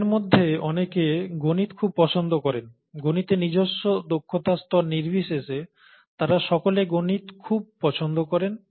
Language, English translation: Bengali, And many of them like mathematics a lot, irrespective of their own capability level in mathematics, they all like mathematics a lot